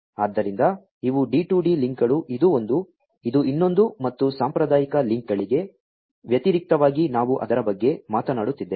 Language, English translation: Kannada, So, these are the D2D links this is one, this is another and we are talking about it in contrast to the traditional links